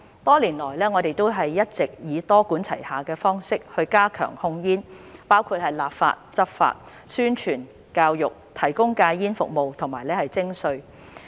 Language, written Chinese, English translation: Cantonese, 多年來，我們一直以多管齊下的方式加強控煙，包括立法、執法、宣傳、教育、提供戒煙服務和徵稅。, Over the years we have been adopting a multi - pronged approach to strengthen tobacco control including legislation enforcement publicity education smoking cessation services and taxation